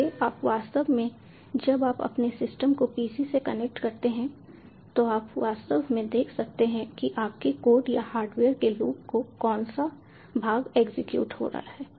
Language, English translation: Hindi, so you can actually, when you connected your system to a pc, you can actually see which part of the loop your code or the hardware is executing